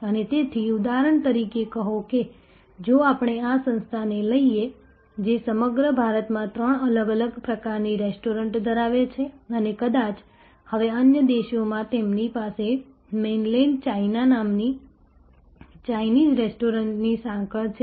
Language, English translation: Gujarati, And that is why in a, say for example, if we take this organization, which has three different types of restaurants across India and perhaps, now in other countries they have a chain of Chinese restaurants called Mainland China